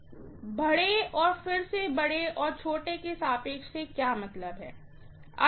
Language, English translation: Hindi, What I mean by large, again large and small relative